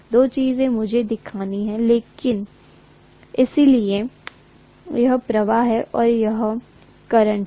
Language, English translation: Hindi, Two things I have to show, so this is flux and this is current